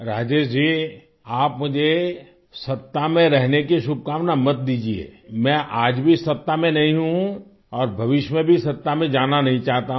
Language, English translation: Hindi, Rajesh ji, don't wish me for being in power, I am not in power even today and I don't want to be in power in future also